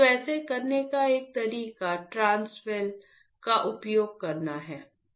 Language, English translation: Hindi, So, one way of doing it is using the transwell well